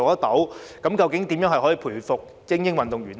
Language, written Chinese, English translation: Cantonese, 究竟我們應該如何培育精英運動員？, So how should we nurture elite athletes?